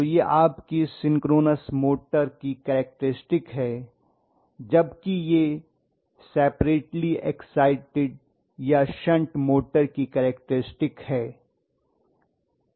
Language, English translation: Hindi, So this is your synchronous motor characteristics whereas this is separately exited or shunt motor characteristics, right